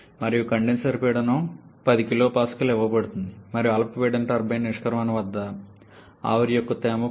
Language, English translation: Telugu, And the condenser pressure is given as 10 kilo Pascal and the moisture content of steam at the exit of the low pressure turbine should not a see 10